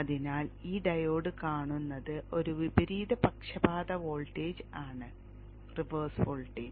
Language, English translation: Malayalam, So this diode sees a reverse biased voltage, reverse voltage, therefore it is reversed biased and is off